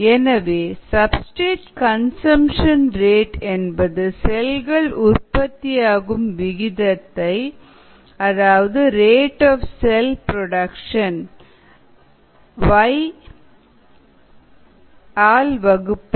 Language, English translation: Tamil, so the rate of substrate consumption is nothing but the rate of cell production divided by y xs